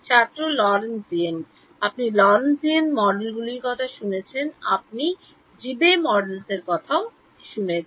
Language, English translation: Bengali, Lorentzian You have heard of Lorentzian models, you heard of Debye models